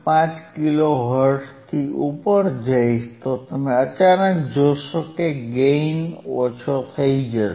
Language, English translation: Gujarati, 5 kilo hertz, you will see you will see suddenly that again the gain will be less